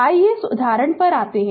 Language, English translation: Hindi, Let us come to this example